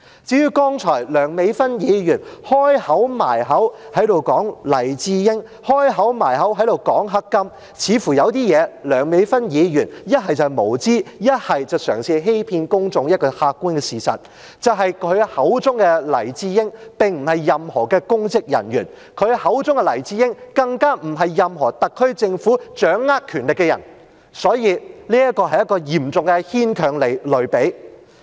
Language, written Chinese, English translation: Cantonese, 至於剛才梁美芬議員"開口埋口"說黎智英，"開口埋口"說黑金，似乎有些事情，梁美芬議員不是無知，便是嘗試欺騙公眾一個客觀的事實，就是她口中的黎智英，既不是任何公職人員，更不是任何特區政府掌握權力的人，所以，這是一個嚴重牽強的類比。, As for Dr Priscilla LEUNG who kept harping on about Jimmy LAI and corrupt political donations it seems that she was either ignorant about something or trying to deceive the public about the objective fact that Jimmy LAI is not a public officer let alone any person holding powers in the SAR Government and thus her description was an extremely far - fetched analogy